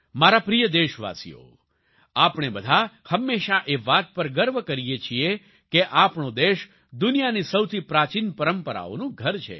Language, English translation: Gujarati, My dear countrymen, we all always take pride in the fact that our country is home to the oldest traditions in the world